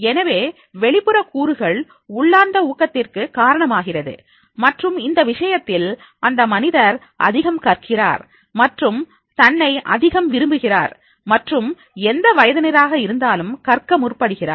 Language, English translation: Tamil, So antristic factors causes the intrinsic motivation and in that case the person learns more and the belief himself in more and then he starts learning at whatever the age he might be